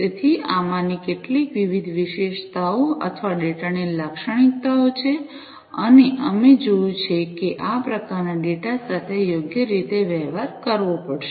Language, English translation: Gujarati, So, these are some of these different attributes or the characteristics of the data and we have seen that these this type of data will have to be dealt with appropriately